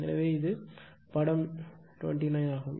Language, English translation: Tamil, So, it is actually figure 29